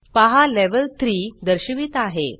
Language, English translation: Marathi, Notice, that the Level displays 3